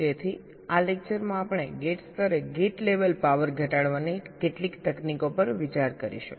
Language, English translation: Gujarati, so in this lecture we shall be looking at some of the techniques to reduce power at the level of gates, at the gate level